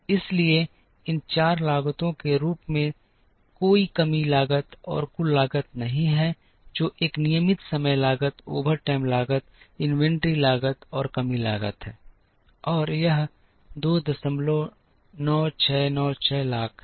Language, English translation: Hindi, So, there is no shortage cost and the total cost as a sum of these four costs which is regular time cost overtime cost inventory cost and shortage cost and that is 2